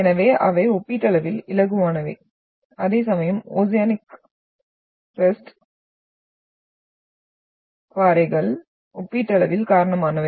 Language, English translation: Tamil, So they are comparatively lighter whereas the oceanic rocks are comparatively heavier